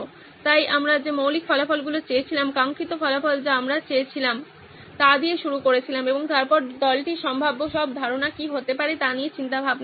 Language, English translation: Bengali, So we started with the basic results that we wanted, desired results that we wanted and then the team started brainstorming on what all possible ideas there could be